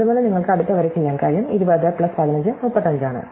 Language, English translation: Malayalam, Likewise, you can do the next row, 20 plus 15 is 35